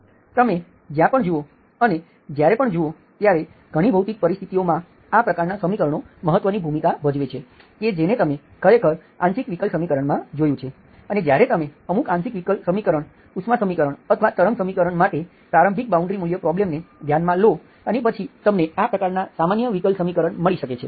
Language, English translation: Gujarati, That is where you see, whenever you see, in many physical situations, these kinds of equation play an important role, that you have actually seen in the partial differential equation, when you consider boundary initial value problem for certain partial differential equations, heat equation or wave equation you may come across this kind of ordinary differential equations